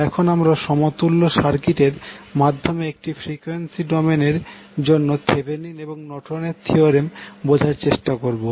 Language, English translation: Bengali, Now, let us understand the Thevenin and Norton’s theorem one particular frequency domain we will first create the equivalent circuit